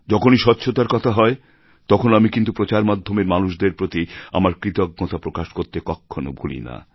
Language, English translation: Bengali, Whenever there is a reference to cleanliness, I do not forget to express my gratitude to media persons